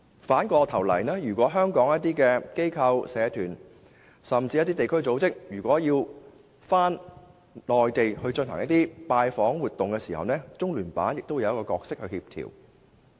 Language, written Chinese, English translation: Cantonese, 反過來，如果香港的一些機構、社團甚至地區組織要在內地進行拜訪活動的時候，中聯辦亦會扮演協調角色。, In turn if some organizations associations and community groups in Hong Kong want to visit the Mainland LOCPG will also play a coordinating role